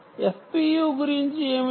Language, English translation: Telugu, what about f p